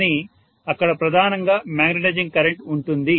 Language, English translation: Telugu, This will definitely draw magnetizing current